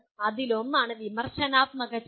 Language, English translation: Malayalam, One is Critical Thinking